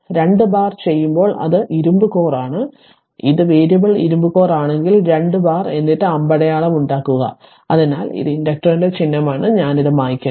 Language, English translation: Malayalam, When you make 2 bar then it is iron core and if it is a variable iron core then 2 bar and then make arrow right, so this is the symbol of the inductor so let me clear it